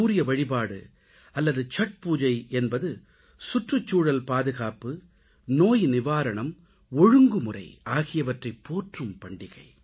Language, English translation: Tamil, Sun worship or Chhath Pooja is a festival of protecting the environment, ushering in wellness and discipline